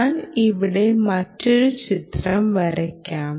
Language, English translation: Malayalam, i will put one nice picture here